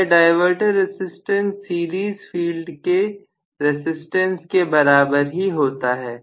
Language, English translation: Hindi, So, we are going to have the diverter resistance comparable to that of the series field resistance itself